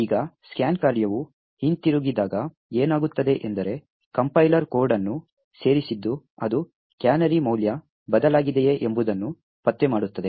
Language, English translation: Kannada, Now when the scan function returns what happens is that the compiler has added code that detects whether the canary value has changed